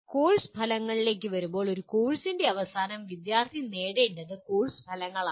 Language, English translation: Malayalam, Coming to Course Outcomes, Course Outcomes are what students are required to attain at the end of a course